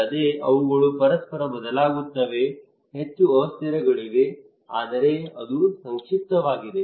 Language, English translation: Kannada, Well they vary from each other there are more variables, but that was the concise one